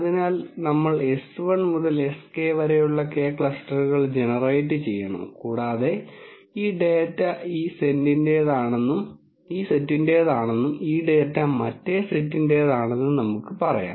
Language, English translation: Malayalam, So, we will generate K sets s 1 to s k and we will say this data belongs to this set and this data belongs to the other set and so on